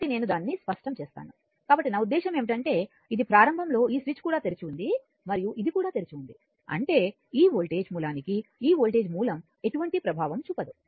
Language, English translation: Telugu, So, at I mean when this your what you call that this initially this switch this was also open and this was also open so; that means, this voltage source has no effect this voltage source has no effect right